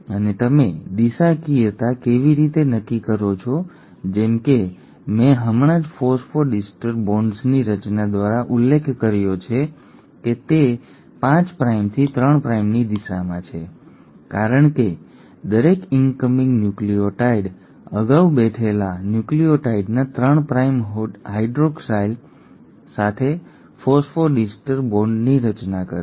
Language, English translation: Gujarati, And how do you decide the directionality as I just mentioned through the formation of phosphodiester bonds that it is in the direction of 5 prime to 3 prime because every incoming nucleotide will form a phosphodiester bond with the 3 prime hydroxyl of the previously sitting nucleotide